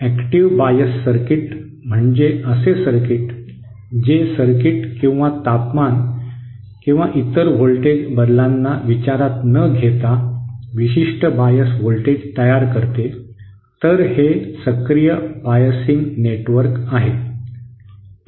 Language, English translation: Marathi, An active bias circuit is circuit which produces a particular bias voltage irrespective of any changes in the circuit or temperature or other voltage variation, so this this is you know an active biasing network